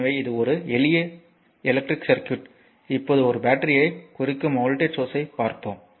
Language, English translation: Tamil, So, this is a simple electric circuit now let us come to the voltage source representing a battery